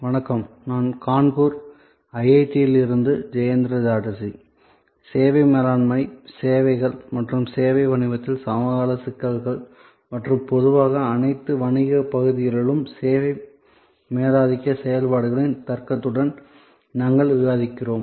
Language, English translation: Tamil, Hello, I am Jayanta Chatterjee from IIT, Kanpur and we are discussing Managing Services and the contemporary issues in service business as well as in the area of all businesses in general with the logic of service dominant operations